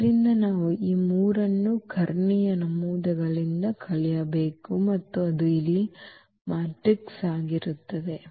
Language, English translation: Kannada, So, we have to subtract this 3 from the diagonal entries and that will be our matrix here